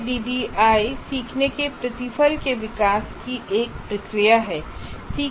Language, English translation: Hindi, So, ADI is a process for development of a learning product